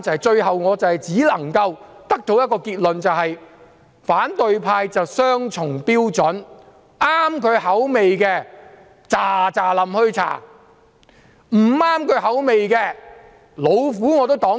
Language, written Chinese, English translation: Cantonese, 最後，我只能夠得出一個結論：反對派持雙重標準，合乎他們口味的，便立即調查；不合乎他們口味的，無論怎樣都要擋住。, On a final note I can only draw one conclusion the opposition has double standards . If the finding might appeal to their taste they advocate immediate investigation; if not they obstruct it by all means